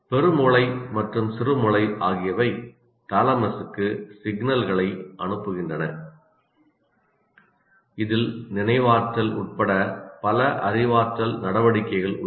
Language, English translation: Tamil, The cerebrum and cerebellum also send signals to thalamus involving it in many cognitive activities including memory